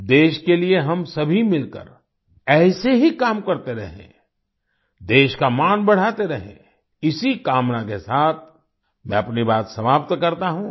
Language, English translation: Hindi, Let us all keep working together for the country like this; keep raising the honor of the country…With this wish I conclude my point